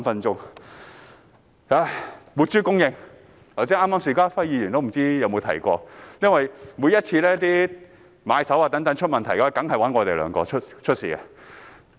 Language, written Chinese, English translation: Cantonese, 在活豬供應方面，不知邵家輝議員剛才有否提到，因為每每買手遇上問題，他們一定會找我們兩人。, In respect of live pig supply I do not know if Mr SHIU Ka - fai has mentioned this . Whenever buyers encounter problems they will surely come to the two of us